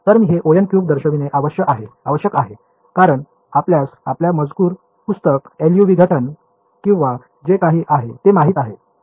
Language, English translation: Marathi, So, I must point out this order n cube is for you know your text book LU decomposition or whatever